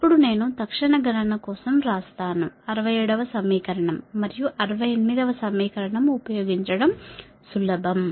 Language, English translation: Telugu, thats why i have written for quick calculation it is easier to use sixty seven and equation sixty seven and sixty eight